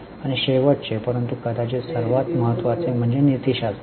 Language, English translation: Marathi, And the last but perhaps the most important is ethics